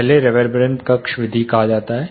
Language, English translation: Hindi, First is called reverberant chamber method